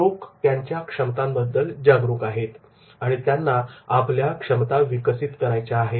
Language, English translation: Marathi, People are aware about their ability and they develop their competency